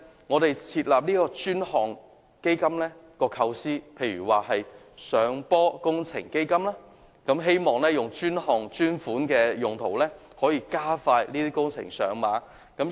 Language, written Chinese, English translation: Cantonese, 我們設立專項基金，例如上坡工程基金的構思，是希望以專項專款的用途，可以令這些工程盡快上馬。, The purpose of setting up dedicated funds for example a fund for hillside escalator links is to earmark funds for dedicated purposes so that the projects can commence as soon as possible